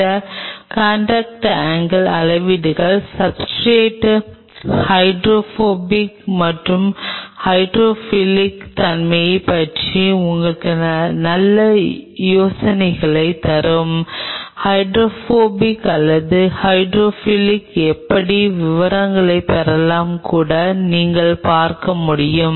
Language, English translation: Tamil, These contact angle measurements will give you a fairly good idea about the hydrophobic and hydrophilic nature of the substrate; hydrophobic or hydrophilic how even without getting into the details you can see if